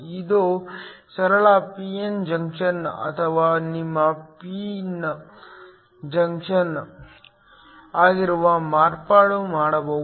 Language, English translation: Kannada, This can a simple p n junction or modification of that which is your pin junction